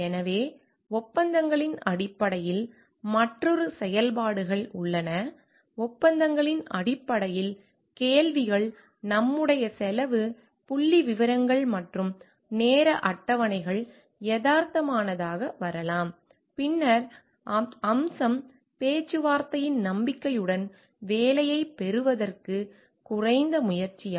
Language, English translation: Tamil, So, in terms of contracts, there is another functions which is in terms of contracts like questions may come up with realistic to our cost figures and time schedules realistic, then is it a bid which is made low to get the job with the hope of feature negotiating